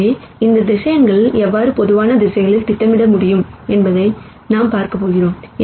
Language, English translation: Tamil, So, I am going to look at how we can project this vectors onto general directions